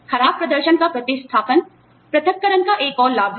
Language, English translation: Hindi, Replacement of poor performance is another benefit of separation